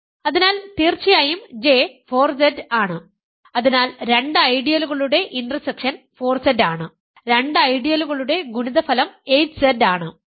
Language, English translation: Malayalam, So, and of course, J is 4Z, so the intersection of the two ideals is 4Z, the product of two ideals is 8Z